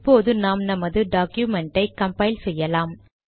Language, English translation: Tamil, So now lets proceed to compile our document